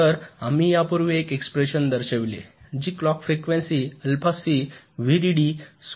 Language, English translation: Marathi, so we showed an expression earlier which looked like alpha c, v dd square into f, frequency of clock